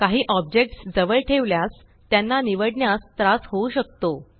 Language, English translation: Marathi, If some objects are closely placed, you may have difficulty in choosing them